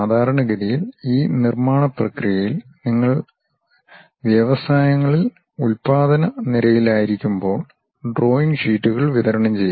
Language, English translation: Malayalam, Typically, when you are in production lines in industries during this manufacturing process drawing sheets will be distributed